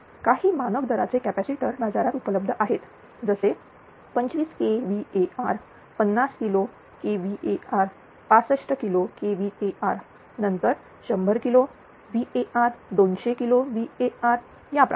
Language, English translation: Marathi, Some standard ratings of capacitors are available in the market, like 25 kvr, 50 kilo kvr, 65 kilowatt, then 100 kilowatt, 200 kilowatt like that